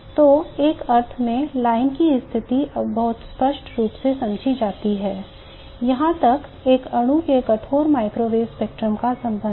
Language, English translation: Hindi, So in a sense the line positions are now very clearly understood as far as the rigid microwave spectrum of a molecule is concerned